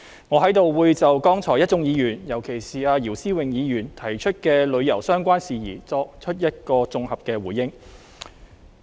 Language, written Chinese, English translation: Cantonese, 我在這裏會就剛才一眾議員，尤其是姚思榮議員提出的旅遊相關事宜，作綜合回應。, I am going to make a holistic reply to tourism - related issues raised by Members in particular those raised by Mr YIU Si - wing